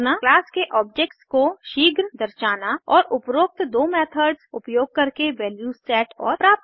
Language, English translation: Hindi, Instantiate the object of the class and set and get values using the above 2 methods